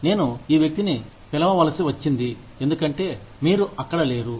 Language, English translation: Telugu, I had to call this person, because, you were not there